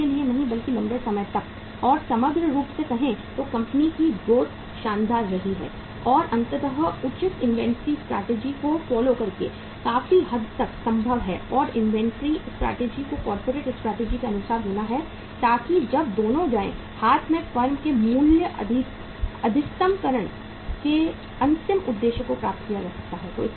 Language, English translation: Hindi, Not for today but for long and the overall say growth of the company has to be spectacular so ultimately that to a larger extent is possible by following the appropriate inventory strategy and that inventory strategy has to be as per the corporate strategy so that when both go hand in hand the ultimate objective of the value maximization of the firm can be achieved